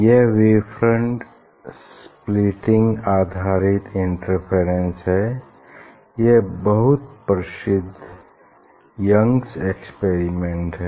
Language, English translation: Hindi, that is based on wave front splitting interference and that was very famous Young s experiment